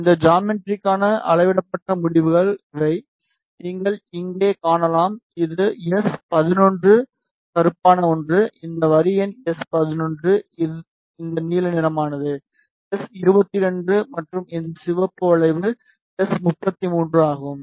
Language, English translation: Tamil, So, these are the measured results for this geometry, you can see here this is S 11 black one this line is S 11 this blue one is S 22 and this red curve is S 33